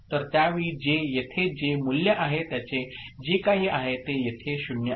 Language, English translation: Marathi, So, at that time whatever is the value that is present at for J so here it is 0